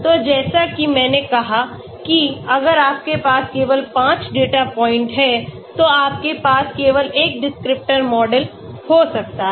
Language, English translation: Hindi, So as I said if you have only 5 data points you can have only one descriptor model